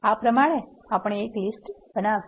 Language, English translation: Gujarati, So, we have created a list